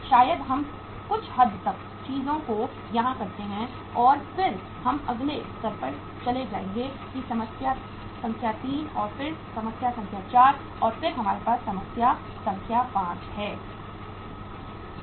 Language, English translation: Hindi, Probably we do the things to some extent here and then we will move to the uh next level that is the problem number uh 3 and then problem number 4 and then we have the problem number 5